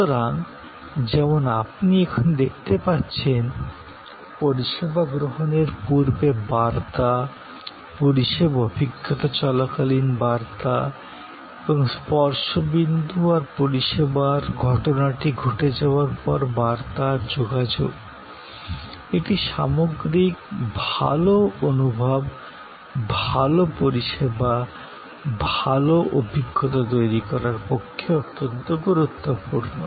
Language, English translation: Bengali, So, as you can see here, both pre consumption, communication, communication and touch points during the service experience and communication after the service incidence or are all very important to create an overall good feeling, good services, experience